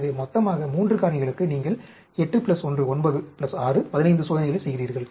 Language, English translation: Tamil, So, totally, for 3 factors, you do 8 plus 1, 9 plus 6, 15 experiments